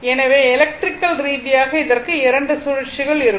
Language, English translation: Tamil, So, electrically, it will be 2 cycles right